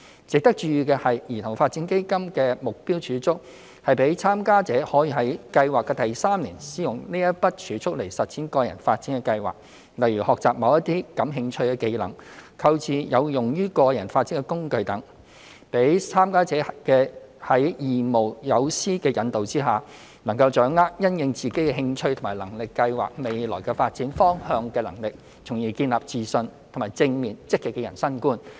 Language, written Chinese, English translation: Cantonese, 值得注意的是，兒童發展基金的目標儲蓄是讓參加者可於計劃的第三年使用該筆儲蓄實踐個人發展規劃，例如學習某些感興趣的技能；購置有用於個人發展的工具等，讓參加者在義務友師引導下，能夠掌握因應自己的興趣和能力計劃未來發展方向的能力，從而建立自信及正面、積極的人生觀。, Members should note that participants of the Child Development Fund may use their targeted savings to realize their personal development plans in the third year of the project . For example they may use the savings to learn their interested skills or buy tools to facilitate their personal development . Under the guidance of volunteer mentors the participants will learn how to plan for the future based on their interests and abilities so as to build their confidence and developing a positive outlook to life